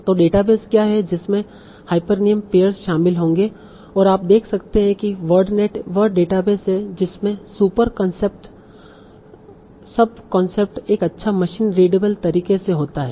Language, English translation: Hindi, So what is a database which will contain the hyphenem pairs and you can see what it is a database that contains super concepts of concept in a nice machine utable manner